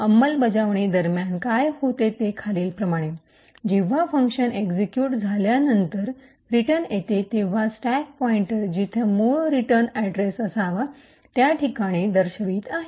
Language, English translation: Marathi, What happens during execution is as follows, when the function that is getting executed returns at that particular time the stack pointer is pointing to this location where the original return address should be present